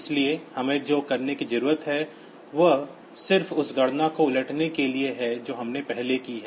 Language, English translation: Hindi, So, what we need to do is just to reverse the calculation that we have done previously